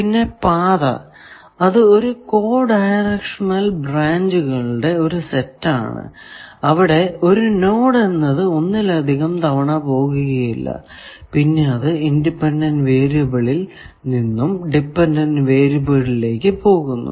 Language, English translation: Malayalam, And, path, set of consecutive co directional branches, along which no node is traversed more than once, as moved from independent to dependent variable